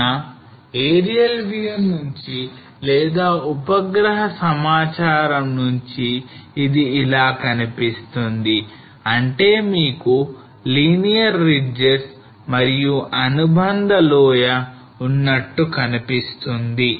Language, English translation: Telugu, So from aerial view or from the satellite data how it looks like you will have a very linear ridges and associated valley